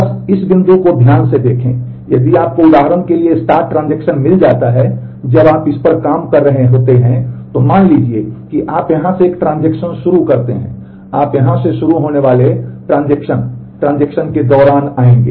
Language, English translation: Hindi, Just look at this point carefully; if you find a start transaction for example, when you are working on this, suppose you come across a start transaction here, you will come across the start transaction transactions start here